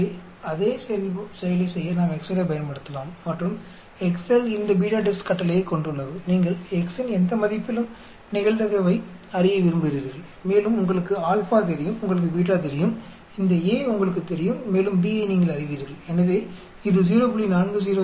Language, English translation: Tamil, So, we can use the excel to do the same thing and excel has this BETADIST command you want to know the probability at any value of x and you know the Alpha, you know the Beta, you know these A and you know the B so it gives you at 0